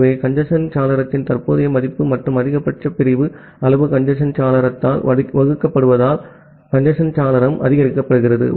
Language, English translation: Tamil, So, the congestion window is increased as the current value of the congestion window plus the maximum segment size into maximum segment size divided by the congestion window